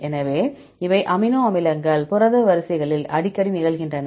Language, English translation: Tamil, So, these are the amino acids which occur very frequently in protein sequences right